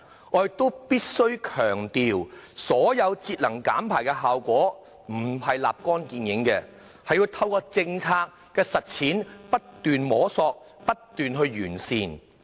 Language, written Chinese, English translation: Cantonese, 我亦必須強調，節能減排的效果並非立竿見影，而是要透過政策的實踐，不斷摸索和完善。, I must also stress that the efforts at energy conservation and emission reduction do not yield instant results . Rather the policy must be continuously explored and refined through implementation